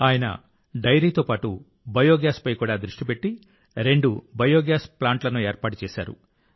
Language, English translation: Telugu, Along with dairy, he also focused on Biogas and set up two biogas plants